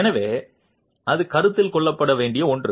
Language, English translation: Tamil, So, that is something to be considered